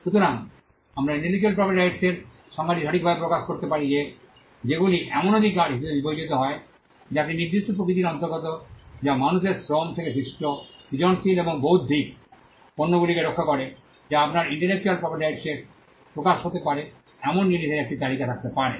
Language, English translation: Bengali, So, we could come up with the definition of intellectual property right either as rights which belong to a particular nature which protects creative and intellectual products that come out of human labour or you could have a list of things on which an intellectual property right may manifest